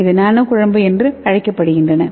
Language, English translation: Tamil, So that is called as nano emulsion